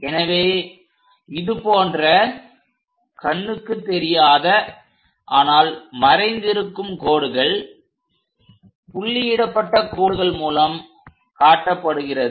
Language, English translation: Tamil, So, such kind of lines invisible things, but still present we show it by dashed lines